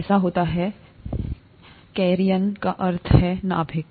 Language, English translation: Hindi, It so happens, karyon means nucleus